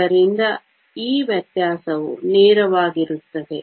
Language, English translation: Kannada, So, this distinction is fairly straight forward